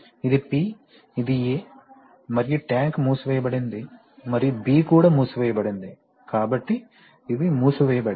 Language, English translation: Telugu, Where this is P, this is A and this is tank is sealed, so the tank is sealed and B is also sealed, so these are sealed, as you can see